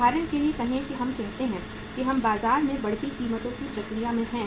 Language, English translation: Hindi, Say for example we uh say we are in the in the process of rising prices in the market